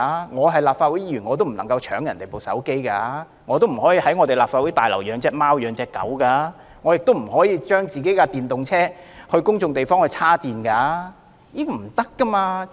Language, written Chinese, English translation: Cantonese, 我們身為立法會議員，也不能搶別人的手機，不可以在立法會大樓內飼養貓狗，亦不可以在公眾地方為自己的電動車充電。, As Members of the Legislative Council we cannot seize the mobile phones of other people keep cats or dogs within the Legislative Council Complex or recharge our electric vehicles in public places